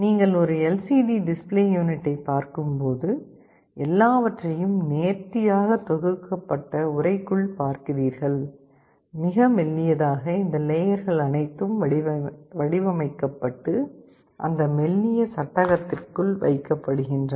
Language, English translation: Tamil, When you see an LCD display unit, you see everything in a nicely packaged case, very thin, all these layers are engineered and put inside that sleek frame